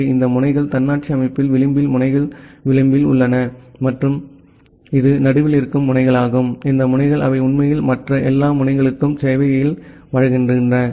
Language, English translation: Tamil, So, these nodes are the edge nodes edge nodes in the autonomous system and this is the nodes which are there in the middle, this nodes they actually provide service to all other nodes